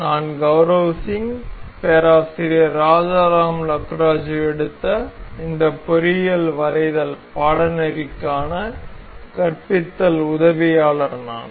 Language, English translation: Tamil, I am Gaurav Singh, I am a teaching assistant for this Engineering Drawing Course taken by Professor Rajaram Lakkaraju